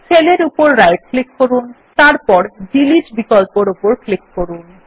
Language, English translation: Bengali, Right click on the cell and then click on the Delete option